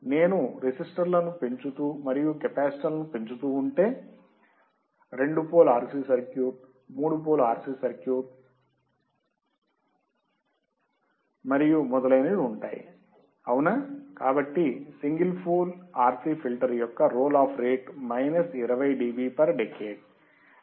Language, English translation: Telugu, If I keep on increasing the resistors and increasing the capacitors there will be two pole RC circuit, three pole RC filter and so on and so forth all right So, for single pole RC filter my role of rate is minus 20 dB per decade